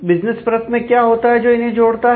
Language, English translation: Hindi, What happens in the business layer which connects them